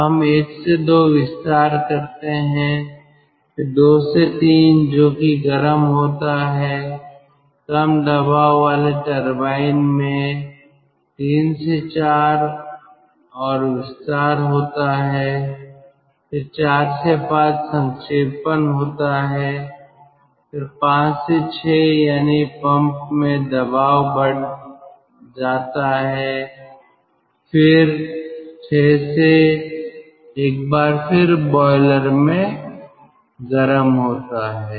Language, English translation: Hindi, three to four, further expansion in low pressure turbine, then four to five is condensation, then five to six, that is ah, that is pressure rise in the pump, and then six to one, again heating in the boiler